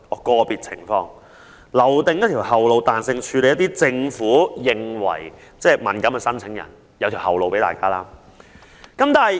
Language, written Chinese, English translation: Cantonese, "個別情況"這個說法，為政府留有後路，對其認為敏感的申請人作彈性處理。, The phrase individual circumstances has given the Government leeway to handle applicants deemed sensitive with flexibility